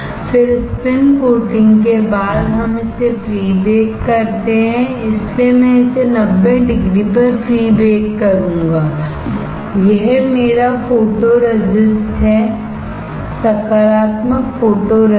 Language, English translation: Hindi, Then after spin coating we pre bake it, so I will pre bake it at 90 degree this is my photoresist; positive photoresist